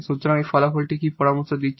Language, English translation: Bengali, So, what this result is suggesting